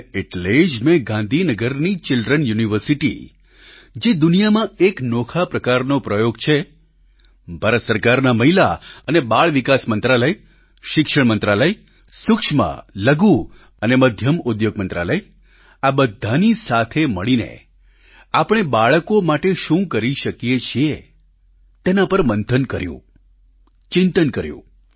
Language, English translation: Gujarati, And this is why, I, together with the Children University of Gandhinagar, a unique experiment in the world, Indian government's Ministry of Women and Child Development, Ministry of Education, Ministry of MicroSmall and Medium Enterprises, pondered and deliberated over, what we can do for our children